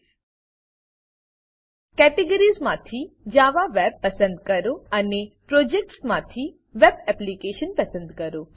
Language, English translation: Gujarati, From the categories, choose Java Web and from the Projects choose Web Application